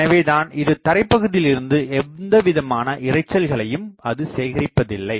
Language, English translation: Tamil, So, it is not collecting the noise from the ground